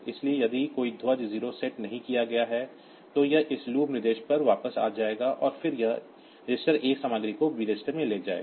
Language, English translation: Hindi, So, if a 0 flag is set, then it will be coming to this loop instruction this point back and then otherwise it will move the a register content to b registered content